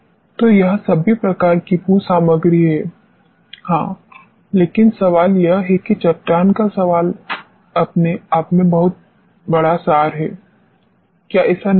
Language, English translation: Hindi, So, this is very all type of geo materials yes, but the question is that question of the rock itself is the very abstract term; is it not